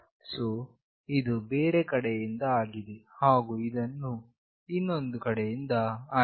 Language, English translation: Kannada, So, this is from the other side and this is from the other one